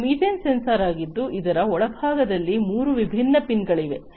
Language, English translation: Kannada, This is the methane sensor with three different pins at the bottom of it